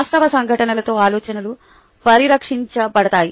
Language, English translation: Telugu, thoughts are tested with actual happenings